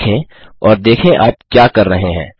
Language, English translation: Hindi, Look at them and realize what are you doing